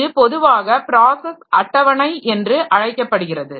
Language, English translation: Tamil, So, that is generally known as the process table